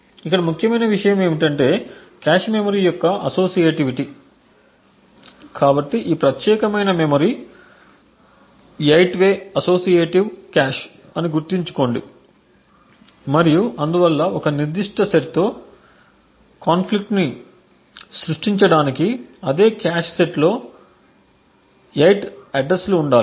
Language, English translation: Telugu, One thing what was important over here was that the associativity of the cache memory, so recollect that this particular memory is an 8 way associative cache and therefore in order to create conflict with a particular set there should be 8 addresses following on the same cache set